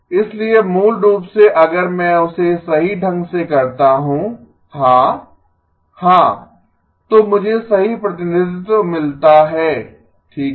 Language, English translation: Hindi, So basically if I do that correctly yes yeah, so I get the correct representation okay